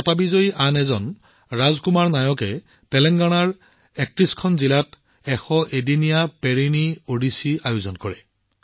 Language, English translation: Assamese, Another winner of the award, Raj Kumar Nayak ji, organized the Perini Odissi, which lasted for 101 days in 31 districts of Telangana